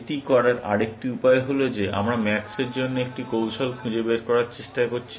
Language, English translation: Bengali, Another way to put it is that we are trying to find a strategy for max